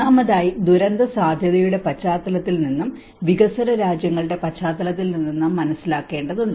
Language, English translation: Malayalam, First of all, we have to understand with the especially from the disaster risk context and also with the developing countries context